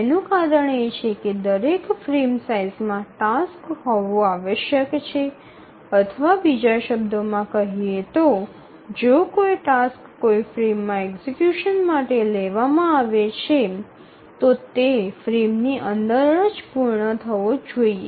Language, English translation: Gujarati, If you remember why this is so, it's because every frame size must hold the task or in other words, if a task is taken up for execution in a frame, it must complete within the frame